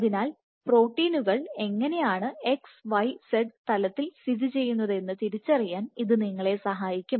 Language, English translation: Malayalam, So, this will really help you to identify how these proteins are located along the x y z plane